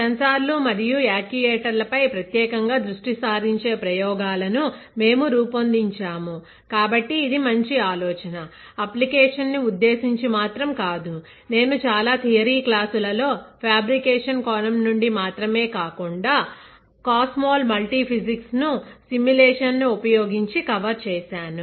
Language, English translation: Telugu, We have designed the set of experiments specifically focusing on sensors and actuators so that you get a very good idea, not only from the application point of view, which I cover in most of the theory classes, and from fabrication point of view but also from performing the simulation which is COMSOL multiphysics right